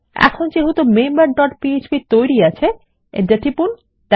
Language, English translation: Bengali, Now as weve created member dot php, press Enter